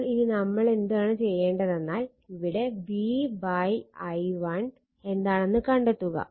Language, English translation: Malayalam, So, what you can do it you try to find out what will be v upon i1 what will be your v upon your i1 right